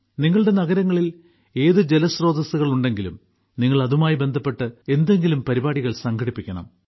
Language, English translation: Malayalam, Whichever water sources are there in your cities, you must organize one event or the other